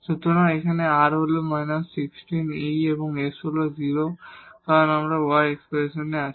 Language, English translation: Bengali, So, here r is minus 16 over e square and the s is 0 because of here y is there in the expression